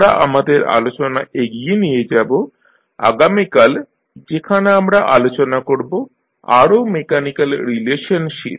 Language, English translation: Bengali, We will continue our discussion tomorrow where, we will discuss about the further mechanical relationship